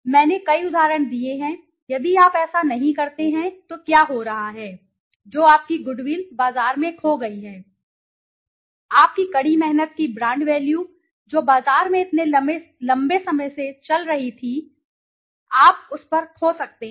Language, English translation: Hindi, I have given several examples, if you do not then what is happening your goodwill is lost in the market, your hard earned brand value which were going in the market for such a long time you might lose on that